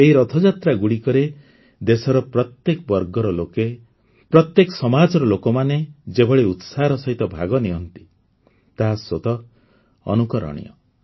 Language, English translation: Odia, The way people from all over the country, every society, every class turn up in these Rath Yatras is exemplary in itself